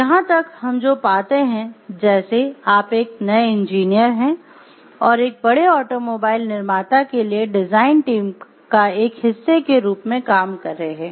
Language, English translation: Hindi, So, till here what we find like you are a new engineer who are working as a part of the design team for a large automobile manufacturer